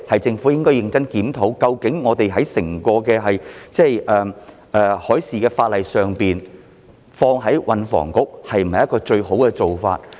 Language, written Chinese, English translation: Cantonese, 政府應該認真檢討，究竟將海事法例全歸運輸及房屋局處理是否最佳做法？, The Government should seriously review whether it is best to place all maritime legislation under the purview of THB